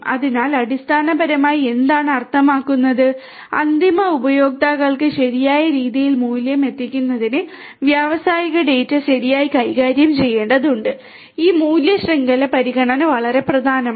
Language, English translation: Malayalam, So, you know basically what it means is that the data industrial data will have to be handled properly in order to deliver value to the end users properly and this value chain is very value chain consideration is very important